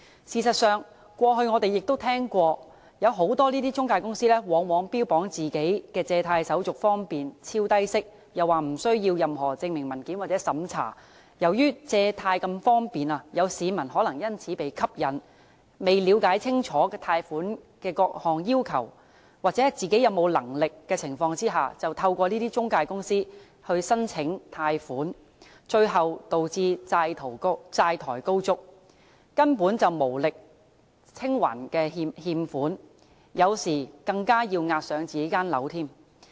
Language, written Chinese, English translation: Cantonese, 事實上，過去我們亦曾聽過，坊間有不少中介公司往往標榜其借貸手續方便、超低息，又聲稱無須任何證明文件或審查，由於借貸方便，市民可能因而被吸引，在未了解清楚貸款的各項要求或自己還款能力的情況下，便透過這些中介公司申請貸款，最後導致債台高築，根本無力清還欠款，有時更要押上自己的房產。, Actually we have also heard that quite a number of intermediaries in the community often boast their convenient formalities and extremely low interest rates as well as claiming that no supporting documents or vetting is required . Since it is so convenient to raise loans members of the public might thus been lured and without understanding the various requirements of the loans obtained or their own repayment capability applied for loans through these intermediaries . Eventually they became heavily in debt and could simply not repay the loans